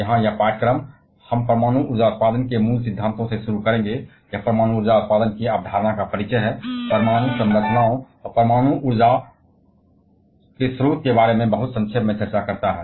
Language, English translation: Hindi, Here this course we shall be starting from the very fundamentals of nuclear power generation; that is, introducing the concept of atomic power generation, discussing about very briefly about the atomic structures, and the source of nuclear energy